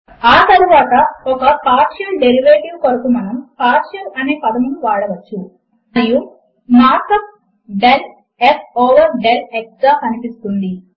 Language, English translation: Telugu, Next, for a partial derivative, we can use the word partial.And the markup looks like: del f over del x